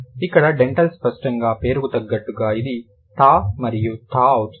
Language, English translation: Telugu, So, dental obviously as the name suggests, it is going to be thir and the